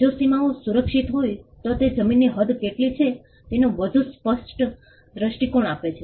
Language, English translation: Gujarati, If the boundaries are protected and it gives a much clearer view of what is the extent of the land